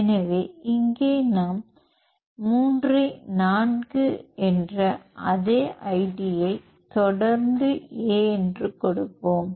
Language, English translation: Tamil, So, here we will give the same id 3 u 4 w followed by A